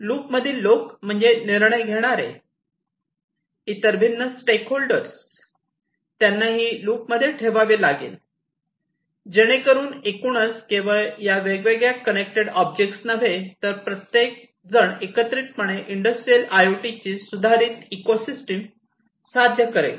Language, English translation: Marathi, People in the loop means, like decision makers, different other stakeholders, they will be also have to be kept in loop, so that overall not only these different objects, the connected objects, but everybody together will be achieving the improved ecosystem of industrial IoT